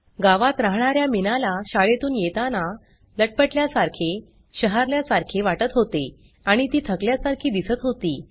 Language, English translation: Marathi, The village girl Meena returned home from school feeling shaky and shivery and looked tired